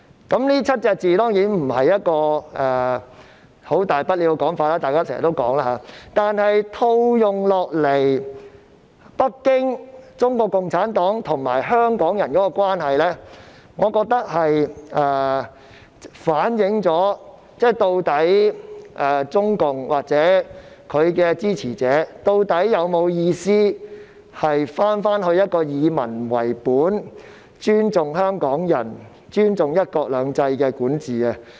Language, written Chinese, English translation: Cantonese, 當然，這7個字沒有甚麼大不了，大家經常都會說，但如果把它套用在北京、中國共產黨及香港人的關係上，我認為這便反映出中共或其支持者，究竟有否打算重回以民為本、尊重香港人及尊重"一國兩制"的管治。, Of course there is no big deal about this phrase for it is a common saying . Nonetheless if this is applied to the relationship between Beijing and CPC and the people of Hong Kong I think this can reflect whether or not CPC and its supporters intend to return to people - based governance and governance respecting the people of Hong Kong and one country two systems